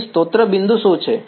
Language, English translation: Gujarati, Here what is the source point